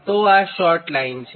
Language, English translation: Gujarati, so this is a short line